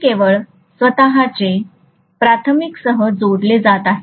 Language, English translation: Marathi, These are only linking with its own self, the primary only